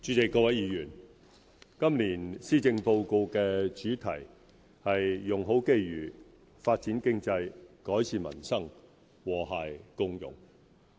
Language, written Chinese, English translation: Cantonese, 主席、各位議員，今年施政報告的主題是"用好機遇發展經濟改善民生和諧共融"。, President and Honourable Members the theme of the Policy Address this year is Make Best Use of Opportunities Develop the Economy Improve Peoples Livelihood Build an Inclusive Society